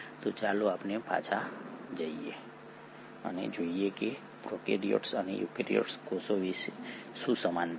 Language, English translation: Gujarati, So let us go back and look at what are the similarity between prokaryotic and the eukaryotic cells